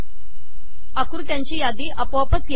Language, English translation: Marathi, List of figures also comes automatically